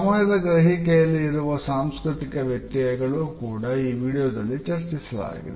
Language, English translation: Kannada, The cultural variations in the perception of time are also discussed in this particular video